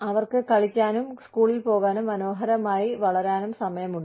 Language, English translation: Malayalam, They have time to play, and go to school, and grow up, beautifully